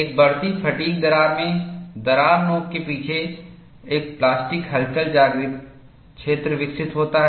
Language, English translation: Hindi, In a growing fatigue crack, behind the crack tip, a plastic wake is developed